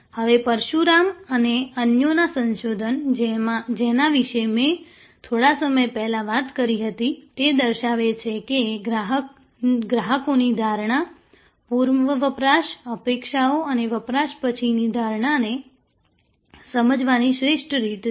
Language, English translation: Gujarati, Now, the research of Parasuraman and others, which I talked about a little while earlier, showed that the best way to understand customers perception, pre consumption, expectation and post consumption perception